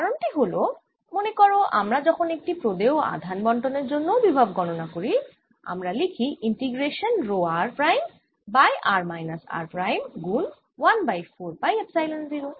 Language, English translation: Bengali, the reason for that is that, remember, when we calculate the potential due to a given charge distribution, we can write this as integration rho, r prime over r minus r, prime, d v prime, one over four, pi, epsilon zero